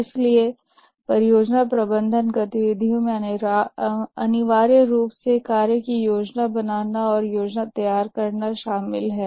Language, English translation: Hindi, So the project management activities essentially consists of planning the work and working the plan